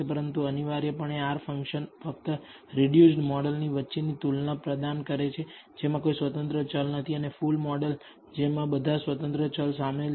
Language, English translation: Gujarati, But essentially the R functions only provide a comparison between the reduced model which contains no independent variable and the full model which contains all of the independent variables